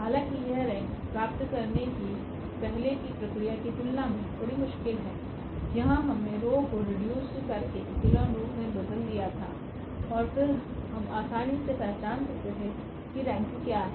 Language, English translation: Hindi, Though it is little bit difficult than the earlier process of getting the rank where we reduced to the row reduced echelon form and then we can easily identify what is the rank